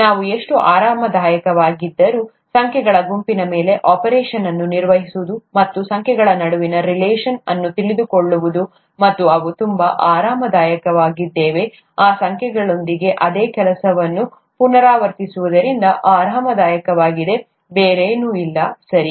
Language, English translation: Kannada, Whatever we feel… excuse me, so comfortable with, you know, performing a set of operations on numbers, and knowing the relationship between numbers and so on and so forth that we are so comfortable with, became comfortable because of repeated doing of the same thing with those numbers, nothing else, okay